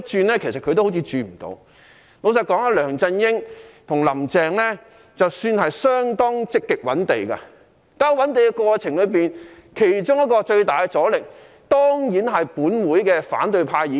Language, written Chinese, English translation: Cantonese, 老實說，梁振英和"林鄭"算是相當積極覓地的，在覓地過程中，其中一個最大的阻力，當然是本會的反對派議員。, Honestly LEUNG Chun - ying and Carrie LAM are rather proactive in identifying sites . In the course of identifying sites one of the greatest obstacles is definitely Members from the opposition camp in this Council